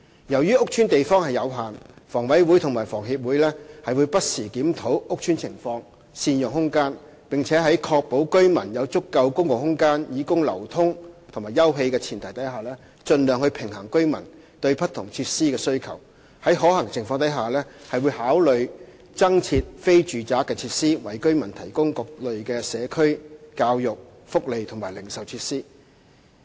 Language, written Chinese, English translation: Cantonese, 由於屋邨的地方有限，房委會和房協會不時檢討屋邨情況，善用空間，並在確保居民有足夠公共空間以供流通及休憩的前提下，盡量平衡居民對不同設施的需求，在可行的情況下會考慮增設非住宅設施，為居民提供各類社區、教育、福利及零售設施。, Since the space in these housing estates is limited HA and HKHS will review from time to time the situation in these housing estates make effective use of space and on the premise of ensuring that adequate public space is provided for the residents for circulation and leisure strive to balance their needs for various facilities provide additional non - residential facilities where practicable and provide community education welfare and retail facilities for the residents